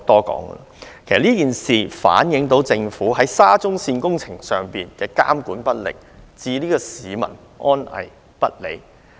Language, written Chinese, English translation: Cantonese, 其實這件事反映政府在沙中線工程上監管不力，置市民安危於不顧。, In fact this incident reflects the inadequate supervision of the Government on the works of SCL and public safety is completely disregarded